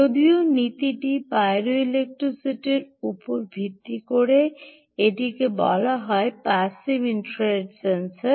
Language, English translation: Bengali, although the principle is based on pyroelectricity, pyroelectricity, its called ah passive infrared sensor